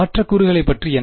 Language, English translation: Tamil, And what about the other term